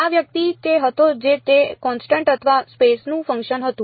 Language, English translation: Gujarati, This guy was what was it constant or a function of space